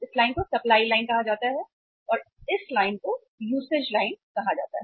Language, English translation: Hindi, This line is called as supply line and this line is called as the usage line